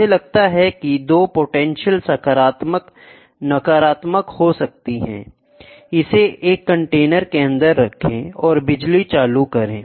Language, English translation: Hindi, I take 2 potentials may be positive, negative, put it inside a container and keep applying electricity